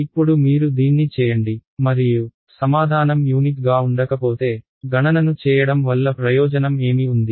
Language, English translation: Telugu, Now you do it and if the answer is not going to be unique, you know what is the point of doing the calculation right